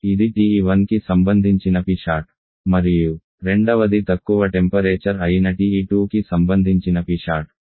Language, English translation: Telugu, This is P sat corresponding to TE1 and the second one is P sat corresponding to TE2 the lower temperature